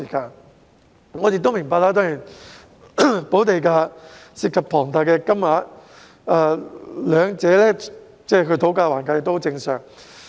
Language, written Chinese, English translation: Cantonese, 當然，我亦明白補地價涉及龐大金額，雙方討價還價也十分正常。, Of course I also understand that the premium involves a huge amount of money and it is very normal for both sides to bargain